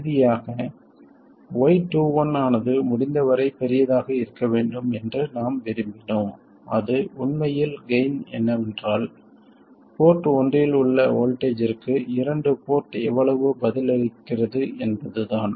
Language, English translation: Tamil, And finally, we wanted Y2 1 to be as large as possible and that's obvious, that is in fact the gain, that is how much the two port responds to the voltage on port 1